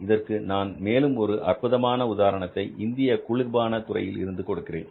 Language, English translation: Tamil, I'll give you another classical example of, for example, you talk about the cold drinks industry in India